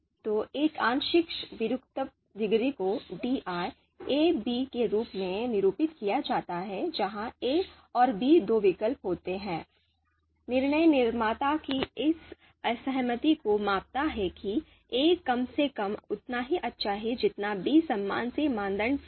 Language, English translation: Hindi, So a partial discordance degree you know denoted as di small di of (a,b) where a and b being two alternatives, so this measures the decision maker’s discordance with the assertion that a is at least as good as b with respect to a given criterion fi